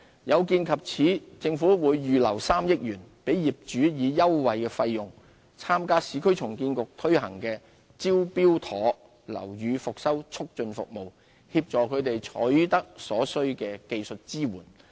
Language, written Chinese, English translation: Cantonese, 有見及此，政府會預留3億元，讓業主以優惠費用參加市區重建局推行的"招標妥"樓宇復修促進服務，協助他們取得所需的技術支援。, To help property owners secure the necessary technical support the Government will earmark 300 million to allow owners to participate in the Smart Tender Building Rehabilitation Facilitating Services Scheme run by the Urban Renewal Authority URA at a concessionary rate